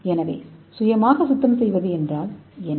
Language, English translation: Tamil, so what is self cleaning property